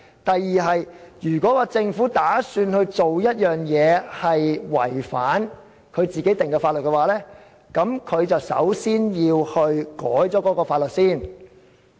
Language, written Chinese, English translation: Cantonese, 第二，如果政府打算做違反自己所制定的法律的事，首先便要修改有關法例。, Secondly if the Government intends to do something in contravention of a law enacted by itself it must first amend the law